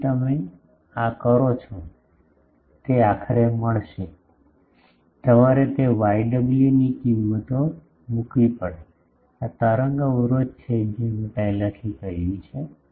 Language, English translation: Gujarati, So, you do this you will get finally, you will have to put those things values of this y w, this wave impedance that I have already told